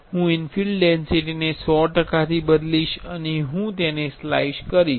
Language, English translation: Gujarati, I will change infill density to 100 percentage and I will slice it